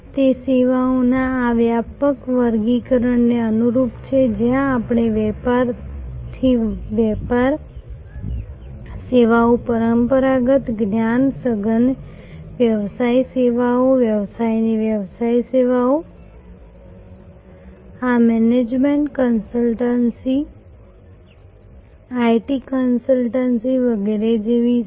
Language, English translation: Gujarati, It is in conformity with this broader classification of services, where we see business to business services traditional, knowledge intensive business services business to business services, these are like management consultancy, IT consultancy, etc